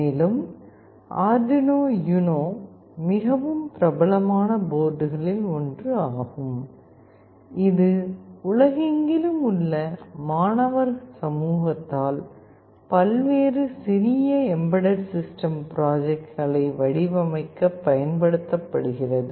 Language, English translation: Tamil, And, one of the very popular boards is Arduino UNO, which is used by the student community across the world to design various small embedded system projects